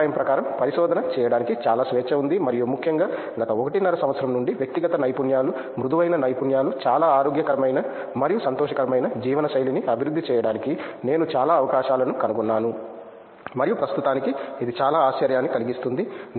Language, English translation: Telugu, Research is very free in my opinion and particularly in from past one and half year or so, I have found lot of opportunities to develop inter personal skills, soft skills and a very healthy and joyful life style and that was a very present surprise